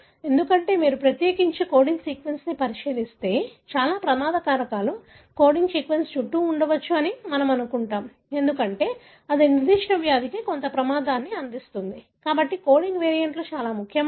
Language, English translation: Telugu, Because, if you look into especially the coding sequence, because we assume that most of the risk factors are possibly around the coding sequence, because that may confer some risk for certain disease, therefore the coding variants are more important